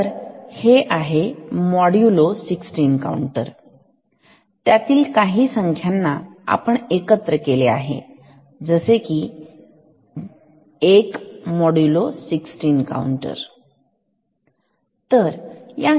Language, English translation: Marathi, Now, what you can do, you can connect this modulo 16 counters a number of them in cascade like you take 1 modulo 16 counter ok